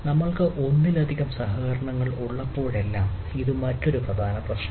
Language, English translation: Malayalam, so this is another major problem whenever we have multiple collaborations